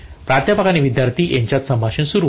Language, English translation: Marathi, Conversation between professor and students starts